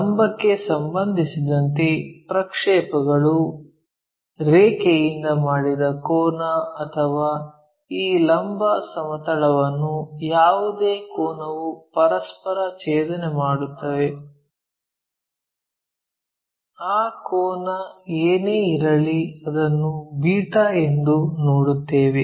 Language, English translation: Kannada, And, this angle the projected one with respect to vertical whatever the angle is going to intersect this vertical plane, whatever that angle we are going to see that we will see it here as beta